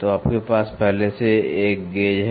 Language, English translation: Hindi, So, you already have a gauge